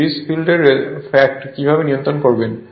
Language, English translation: Bengali, How to control the fact of series field